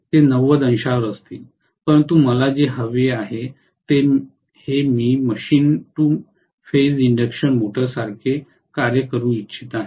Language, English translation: Marathi, They will be at 90 degrees, but what I want is I want to I want to make this particular machine function like a two phase induction motor